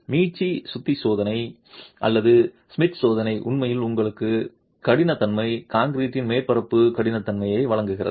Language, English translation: Tamil, The rebound hammer test or the Schmidt test actually gives you the hardness, the surface hardness of concrete